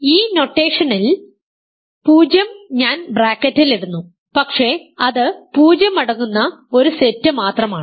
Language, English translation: Malayalam, I use this notation putting 0 in the bracket, but that is as a set just the set consisting of 0